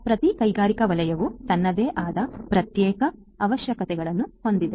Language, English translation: Kannada, So, every industrial sector has its own separate requirements